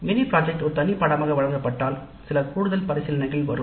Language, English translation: Tamil, But if mini project is offered as a separate course, then some additional considerations come into the picture